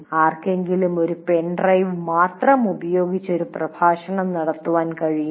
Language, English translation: Malayalam, Can someone put the pen drive in and present a lecture